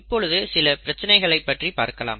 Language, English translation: Tamil, Let us look at some issues